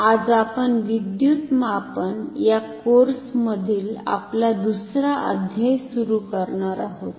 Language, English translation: Marathi, Today we are going to start our second chapter in this course of Electrical Measurements